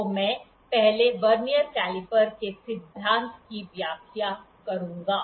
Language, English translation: Hindi, So, I will first explain the Vernier principle, the principle of the Vernier caliper